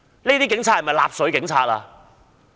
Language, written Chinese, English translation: Cantonese, 這些警察是否納粹警察？, Are these police officers Nazi - police?